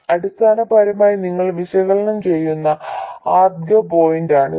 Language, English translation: Malayalam, Essentially it is the first point at which you do the analysis